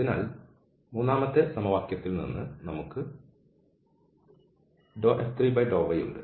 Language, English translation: Malayalam, So, from the third equation we have del F 3 over del y